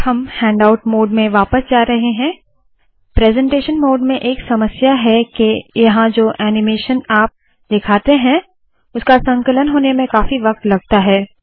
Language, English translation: Hindi, The problem with the presentation mode, we are now going to the handout mode, the presentation mode where you show the animations generally takes a lot of time to compile